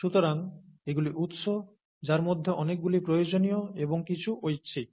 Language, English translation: Bengali, So these are sources, many of which are required, and some of which are optional